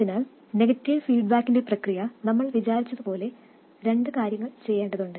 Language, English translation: Malayalam, So, as we described the process of negative feedback, there are two things to be done